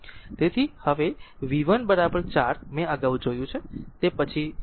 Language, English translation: Gujarati, So, that will show you later